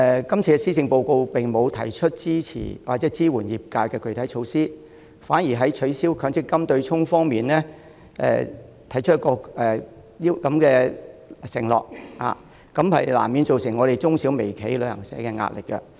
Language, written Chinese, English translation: Cantonese, 今次的施政報告並沒有提出支持或支援業界的具體措施，反而在取消強制性公積金對沖方面作出承諾，這難免對我們屬於中、小、微企的旅行社造成壓力。, The Policy Address this year has not proposed any concrete measure to support or assist the industry . On the contrary it undertook to abolish the offsetting arrangement under the Mandatory Provident Fund System which will inevitably exert pressure on travel agencies which are medium small and micro enterprises